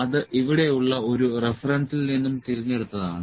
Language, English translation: Malayalam, That is picked from one of the references here